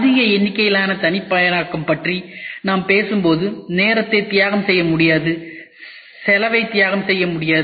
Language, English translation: Tamil, When we talk about mass customization we cannot sacrifice time, we cannot sacrifice cost